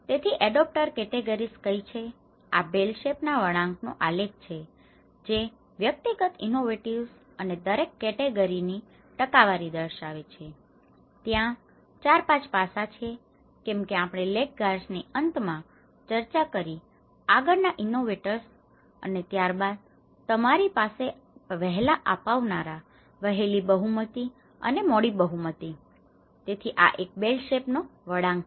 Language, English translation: Gujarati, So, what are the adopter categories, this is a bell shaped curve which shows the individual innovativeness and percentages in each category, there has 4, 5 aspects as we discussed the laggards at the end the innovators on the front and then you have the early adopters, early majority and the late majority so, this is a kind of bell shaped curve